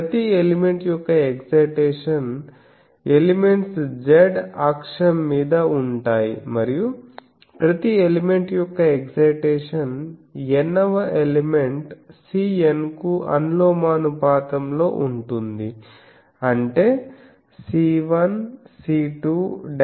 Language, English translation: Telugu, Let the excitation of each element so, elements are on the z axis and get the excitation of each element be proportional to C N for the Nth element; that means, C 1, C 2, etc